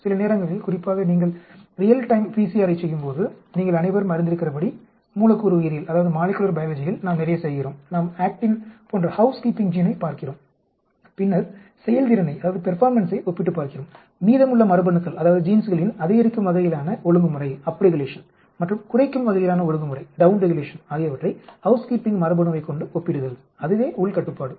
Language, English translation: Tamil, Sometimes, especially when you are doing real time PCR you all know in molecular biology we do quite a lot, we look at the house keeping gene like actin and then compare the performance, the up regulation and down regulation of rest of the gene with respect to the house keeping gene that is an internal control